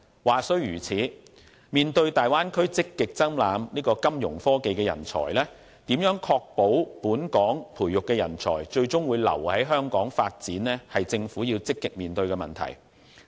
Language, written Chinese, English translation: Cantonese, 話雖如此，面對大灣區積極爭攬金融科技人才，如何確保本港培育的人才最終會留在香港發展，是政府要積極面對的問題。, Having said that in the face of the competition for Fintech talents in the Bay Area the Government should actively ensure talents cultivated in Hong Kong will stay in Hong Kong